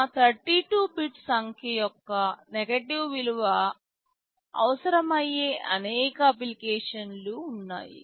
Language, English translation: Telugu, There are many applications where negative value of our 32 bit number is required